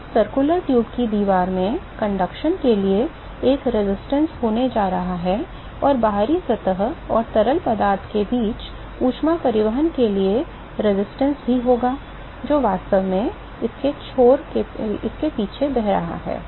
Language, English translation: Hindi, So, there is going to be a resistance to conduction in the wall of the circular tube and there is also be resistance for heat transport between the external surface and the fluid which is actually flowing past it ok